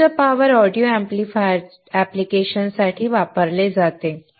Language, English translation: Marathi, This is used for high power audio amplifier applications